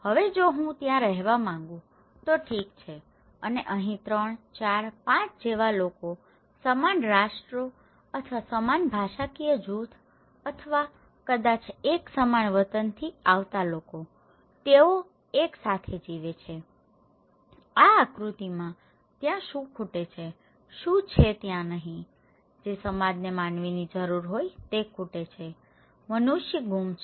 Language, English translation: Gujarati, Now, if I want to live there, okay and what is missing here like 3, 4, 5 people coming from same nations or same linguistic group or maybe same hometown, they are living together, what is missing there in this diagram, what is not there; that a society needs a human being are missing, human beings are missing